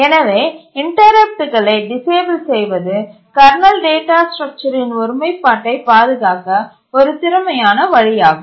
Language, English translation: Tamil, The main reason is that it is an efficient way to preserve the integrity of the kernel data structure